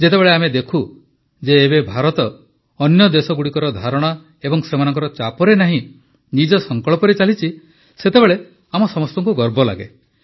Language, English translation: Odia, When we observe that now India moves ahead not with the thought and pressure of other countries but with her own conviction, then we all feel proud